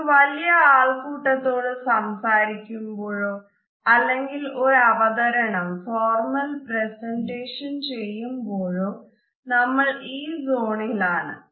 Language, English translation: Malayalam, While talking to a large group or while making a very formal presentation this is the space